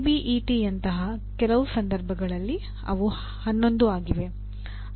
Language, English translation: Kannada, In some cases like ABET they are 11